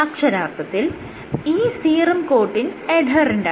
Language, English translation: Malayalam, So, this is serum coating or adherent